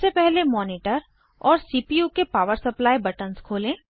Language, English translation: Hindi, First of all, switch on the power supply buttons of the monitor and the CPU